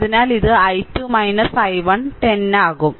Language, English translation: Malayalam, So, it will be i 2 minus i 1 into 10, right